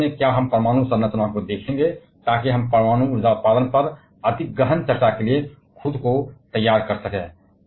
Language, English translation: Hindi, And finally, shall we look into the atomic structure so that we can prepare ourself to though more in depth discussion on the nuclear energy generation